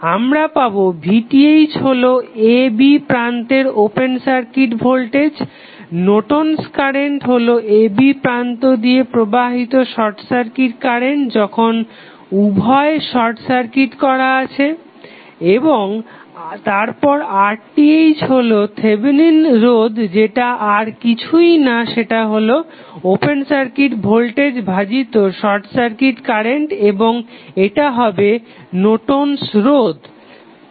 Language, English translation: Bengali, We get V Th is nothing but open circuit voltage across the terminal a, b Norton's current is nothing but short circuit current flowing between a and b when both are short circuited and then R Th that is Thevenin resistance is nothing but open circuit voltage divided by short circuit current and this would be equal to Norton's resistance